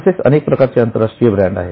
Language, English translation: Marathi, Like that, there are also several international brands